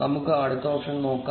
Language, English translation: Malayalam, Let us look at the next option